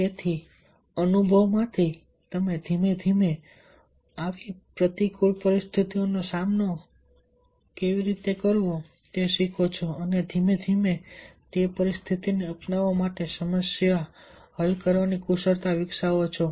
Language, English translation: Gujarati, so from the experience, gradually you learn how to deal with such adverse situations and gradually develop the problem solving skills to adopt with that situations